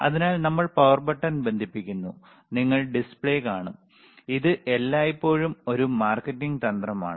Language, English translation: Malayalam, So, we are connecting the power button, and you will see the display, it is always a marketing strategy